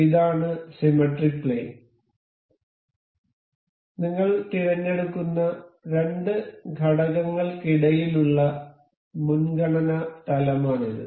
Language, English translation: Malayalam, This is symmetry plane; this is the plane preference that is between the two elements that we will be selecting